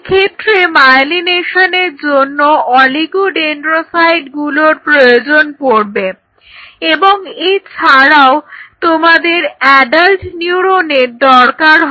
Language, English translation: Bengali, So, you will be needing oligodendrocytes if you want to achieve a myelination and you will be needing adult neurons